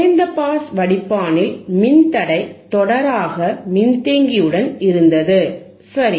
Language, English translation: Tamil, In low pass filter, resistor and was series in capacitor, right